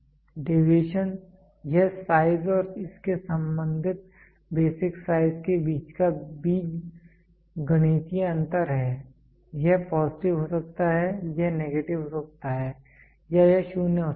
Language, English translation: Hindi, Deviation it is the algebraic difference between the size and its corresponding basic size between a size and its corresponding basic size it may be positive it may be negative or it may be 0